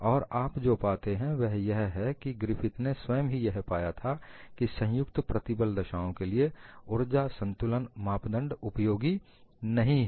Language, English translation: Hindi, And what you find is Griffith himself found that the energy balance criterion was not useful for fracture under combined stress conditions